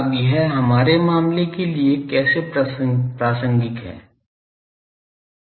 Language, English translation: Hindi, Now, what is this relevant to our case